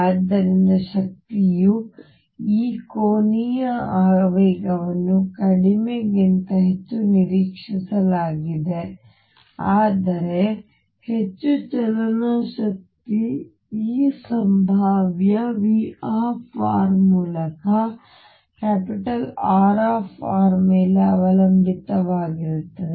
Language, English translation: Kannada, So, energy E depends on the angular momentum as is expected higher than low, but more the kinetic energy and E depends on R r through potential V r